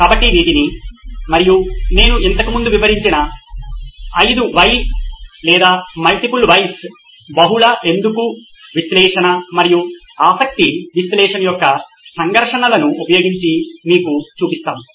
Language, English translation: Telugu, So we will show you using these and the techniques that I described earlier which were “5 whys” or” multiple whys”, multi “why” analysis and the conflict of interest analysis